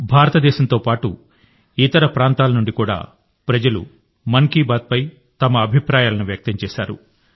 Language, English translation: Telugu, People from India and abroad have expressed their views on 'Mann Ki Baat'